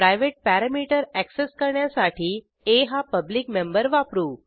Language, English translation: Marathi, To access the private parameter we used the public member a